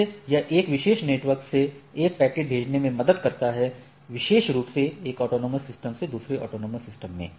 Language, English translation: Hindi, How, it helps in sending a packet from a particular network, in a particular AS autonomous system to a other AS in the autonomous systems right